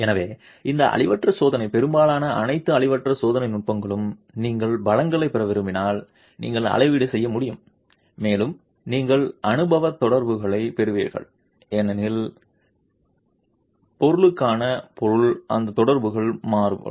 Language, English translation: Tamil, So, this non destructive test, most all non destructive testing techniques, if you want to derive strengths you need to be able to calibrate and you will get empirical correlations because material to material those correlations will vary